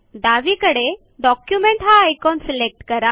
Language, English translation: Marathi, On the left pane, select Document